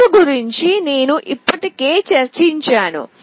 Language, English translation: Telugu, The code I have already discussed